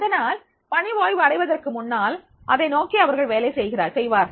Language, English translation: Tamil, So, before getting retirement, they will working on this